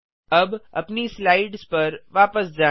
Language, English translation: Hindi, Now let us go back to our slides